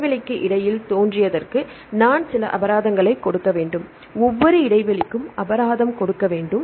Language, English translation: Tamil, We have to give some penalties for the origination between the gap and we have to give a penalty for each gap, right